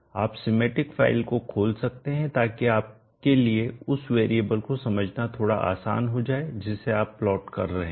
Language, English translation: Hindi, You could open the schematic file so that it becomes a bit more easy for you to understand the variable that you are plotting